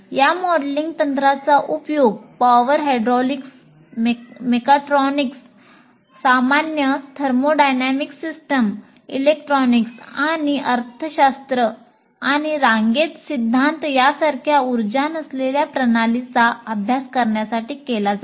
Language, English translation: Marathi, This modeling technique is used in studying power hydraulics, mechatronics, general thermodynamic systems, electronics, non energy systems like economics and queuing theory as well